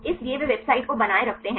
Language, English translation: Hindi, So, they maintain the website